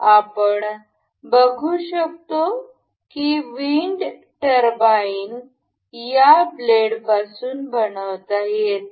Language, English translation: Marathi, You can see this this wind turbine is made of these blades